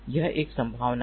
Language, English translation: Hindi, this is one possibility